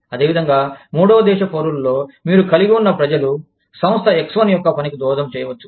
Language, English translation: Telugu, Similarly, in the third country nationals, you could have people, contributing to, or people working in, Firm X1